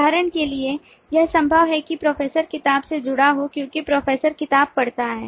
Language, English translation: Hindi, for example, it is possible that the professor is associated with book because professor reads book